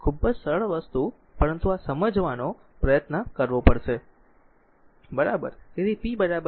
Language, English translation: Gujarati, Very simple thing, but we have to try to understand this, right